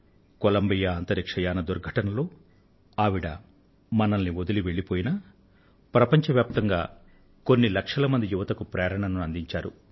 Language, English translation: Telugu, She left us in the Columbia space shuttle mishap, but not without becoming a source of inspiration for millions of young people the world over"